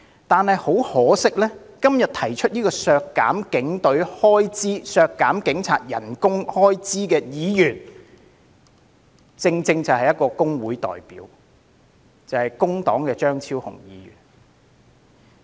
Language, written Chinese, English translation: Cantonese, 但是，很可惜，今天提出削減警員薪酬預算開支的議員，正正是一名工會代表，他就是工黨的張超雄議員。, However the Member who proposed to cut the budget for police emolument today is regrettably a trade union representative that is Dr Fernando CHEUNG from the Labour Party